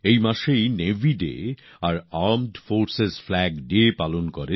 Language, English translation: Bengali, This month itself, the country also celebrates Navy Day and Armed Forces Flag Day